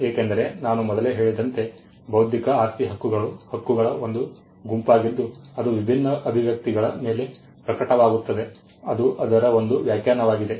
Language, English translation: Kannada, Because, as I said earlier intellectual property rights are a group of rights which manifest on different expressions of ideas that is one definition of it